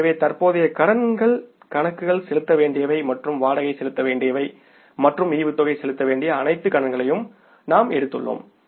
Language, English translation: Tamil, So, we have taken the all liabilities which are mostly current liabilities, accounts payables, rent payable and dividend payable